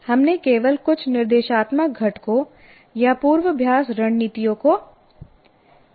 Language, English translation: Hindi, So we only just shown some of them, some instructional components or rehearsal strategies